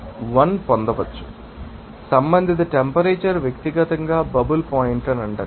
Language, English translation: Telugu, So, respective temperature will be called as you know that bubble point in person